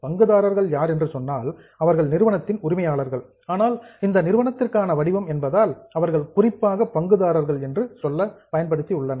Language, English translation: Tamil, Shareholders are nothing but the owners of the company but since this is the format meant for the company they have specifically used the term shareholders